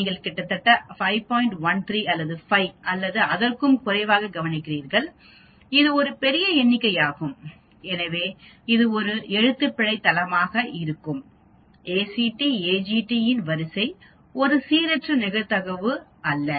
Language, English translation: Tamil, 13 or 5 or fewer sites, which is a large number so this sequence of ACTAGT which is a Spel site happening is not a random event